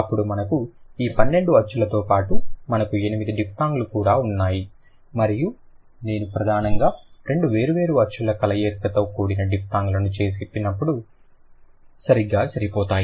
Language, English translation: Telugu, Then out of this 12 vowel sounds we also have 8 like besides or beyond this 12 vowel sounds we also have 8 diphthongs and when I say diphthongs that is primarily the combination of two sounds together, right